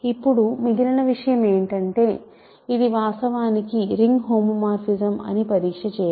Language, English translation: Telugu, Now, the remaining thing is to check that it is in fact, a ring homomorphism